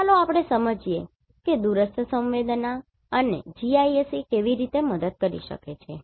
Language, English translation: Gujarati, So, let us understand how the remote sensing and GIS can help